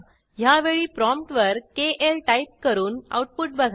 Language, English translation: Marathi, This time at the prompt type KL and see the output